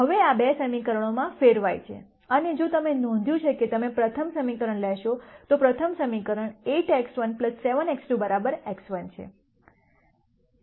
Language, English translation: Gujarati, Now this turns out into these two equations, and if you notice you take the first equation, the first equation is 8 x 1 plus 7 x 2 equals x 1